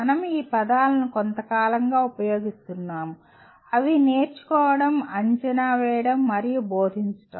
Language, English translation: Telugu, We have been using these words for quite some time namely the learning, assessment, and instruction